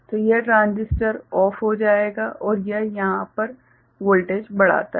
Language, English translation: Hindi, So, this transistor will go OFF and it raises the voltage over here ok